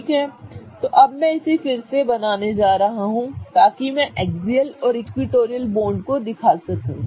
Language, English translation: Hindi, Okay, so I'm going to redraw this such that I highlight the axial bonds and the equatorial bonds